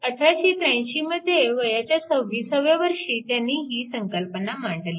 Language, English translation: Marathi, So, 1883, he give this concept when he was 26 years of age right